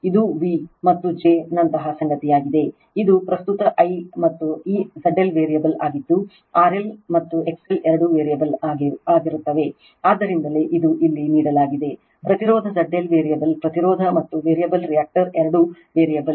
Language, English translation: Kannada, It is something like your v and j say this the current I and this Z L is variable both R L and X L are variable right, so that is why that is that is that is given here, impedance Z L is variable resistance and variable reactor both are variable